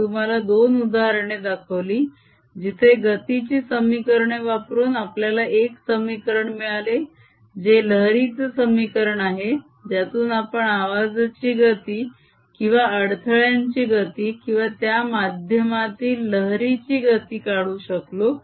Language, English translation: Marathi, so i shown you to examples where, by considering the equation of notion, we got an equation, which is the wave equation, from which you can determine the speed of sound, speed of the disturbance, speed of wave in that medium is going to be